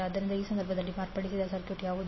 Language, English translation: Kannada, So in that case what will be the modified circuit